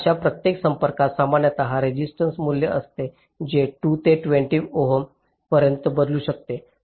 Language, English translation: Marathi, now each such contact typically will be having a resistance value which can vary from two to twenty ohm